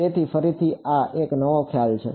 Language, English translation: Gujarati, So, again this is a new concept